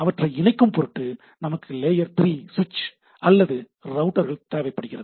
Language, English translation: Tamil, So, they are separate networks in order to, in order to connect them, we require a layer 3 switch or a router